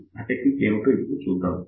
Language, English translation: Telugu, So, let us see what is that technique